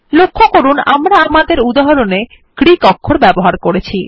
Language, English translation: Bengali, Notice that we have used Greek characters in our example